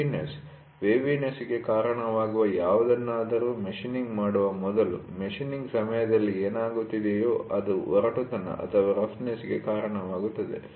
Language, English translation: Kannada, Waviness is before machining whatever does that leads to waviness, whatever happens during machining leads to roughness